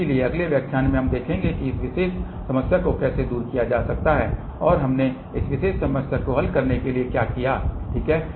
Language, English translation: Hindi, So, in the next lecture we will see how this particular problem can be overcome and what we did to solve this particular problem, ok